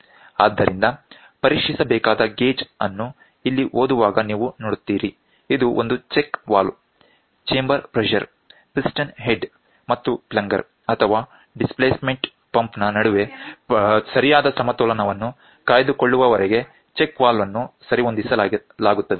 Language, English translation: Kannada, So, gauge to be tested you see at reading here so, this is a check valve, the check valve is adjusted until there is a proper balance between the chamber pressure piston head and plunger or the displacement pump